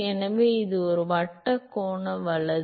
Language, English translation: Tamil, So, it is a circular angular right